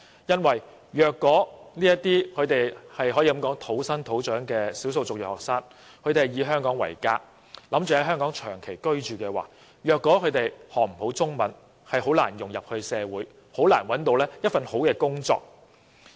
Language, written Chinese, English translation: Cantonese, 因為這些可謂土生土長的少數族裔學生，他們打算以香港為家，並長期居住，如果他們不能學好中文，便難以融入社會，亦難以找到一份好工作。, These EM students are actually born and raised in Hong Kong and they intend to settle in Hong Kong for good . If they cannot master the Chinese language it will be difficult for them to integrate into society or find a good job